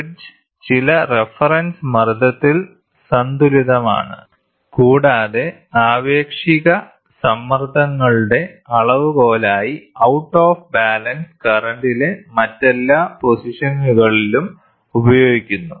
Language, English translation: Malayalam, The bridge is balanced at some reference pressure, and the out of balance current are used at all other pressure as the measurement of the relative pressures